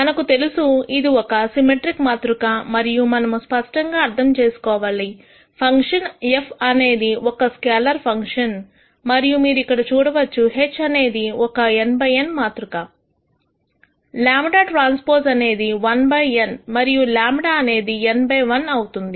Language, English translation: Telugu, We know that this is a symmetric matrix and let us also make sure we understand this clearly the function f is a scalar function and you can see that here also H is an n by n matrix here lambda transpose will be 1 by n and lambda will be n by 1